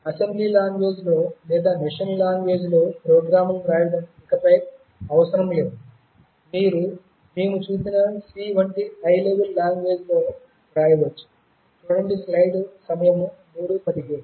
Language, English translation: Telugu, And it is no longer necessary to write programs in assembly language or machine language, you can write in a high level language like C that we have seen